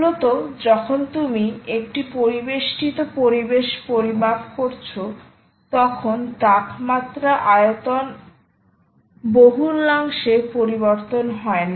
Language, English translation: Bengali, see, essentially, when you are measuring an ambient environment ah, the temperatures dont change drastically